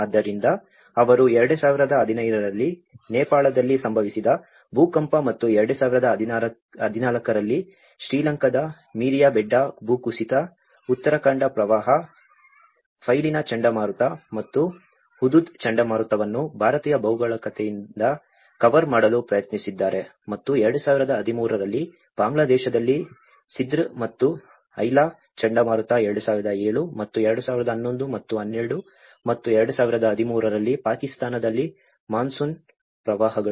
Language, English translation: Kannada, So, they have tried to cover the earthquake in Nepal in 2015 and the Meeriyabedda Landslide in Sri Lanka in 2014, the Uttarakhand Floods, Cyclone Phailin and Cyclone Hudhud from the Indian geography and which was in 2013, Cyclone Sidr and Aila in Bangladesh in 2007 and 2011 and the monsoon floods in Pakistan in 2012 and 2013